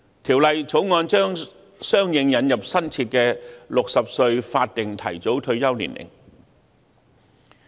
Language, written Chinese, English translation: Cantonese, 《條例草案》將相應引入新設的60歲法定提早退休年齡。, The Bill will introduce a new statutory early retirement age of 60 correspondingly